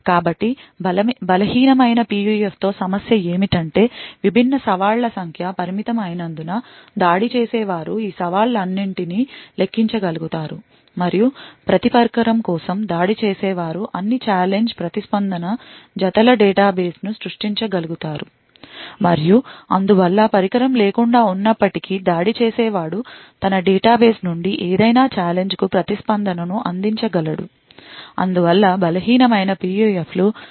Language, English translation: Telugu, So the problem with the weak PUF is that because the number of different challenges are limited, the attacker may be able to enumerate all of these challenges and for each device the attacker could be able to create a database of all challenge response pairs and therefore without even having the device the attacker would be able to provide a response from his database for any given challenge therefore, weak PUFs have limited applications